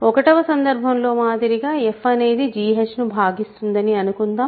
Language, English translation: Telugu, Now, suppose as before in case one suppose f divides g h where g and h are in Z X